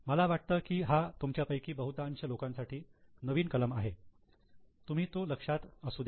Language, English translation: Marathi, I think this is a new item for most of you, just keep in mind